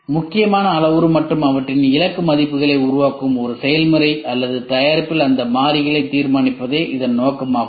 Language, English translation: Tamil, The objective is to determine those variables in a process or product that forms critical parameter and their target values